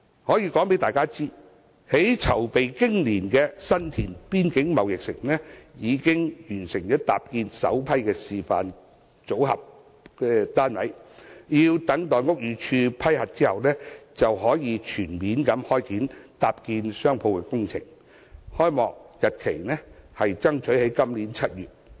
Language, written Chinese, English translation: Cantonese, 我想告訴大家，籌備經年的新田邊境購物城已經完成搭建首批示範組合單位，待屋宇署批核後，就可以全面開展搭建商鋪的工程，爭取在今年7月開幕。, The assembling of the first batch of model shops is now completed . After obtaining the approval from the Buildings Department on the model shops construction of shops can be kick started . The opening of the shopping mall is targeted at July this year